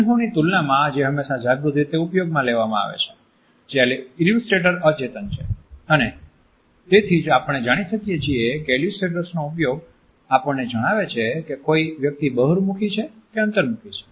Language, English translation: Gujarati, In comparison to emblems which are always used in a conscious manner we find that illustrators are unconscious, and that is why we find that the use of illustrators also tells us whether a person is an extrovert or an introvert